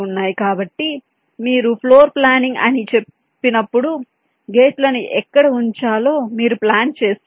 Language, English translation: Telugu, so when you say floor planning, you are planning where to place the gates